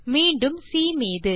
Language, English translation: Tamil, and C once again..